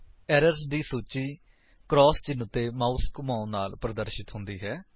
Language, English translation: Punjabi, The list of errors is displayed by hovering the mouse over the cross mark